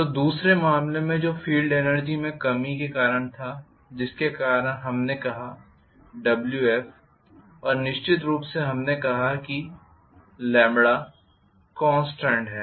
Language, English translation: Hindi, So, in the other case which was corresponding to the reduction in the field energy because of which we said minus Wf and of course we said lambda is constant